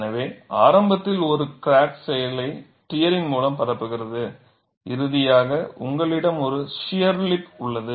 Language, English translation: Tamil, So, initially a crack propagates by tearing action, finally you have shear lip